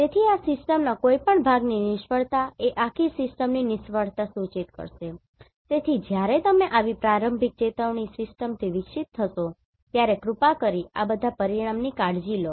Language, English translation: Gujarati, So failure of any part of this system will imply failure of the whole system, so, when you are evolving with such early warning system Please take care of all these parameters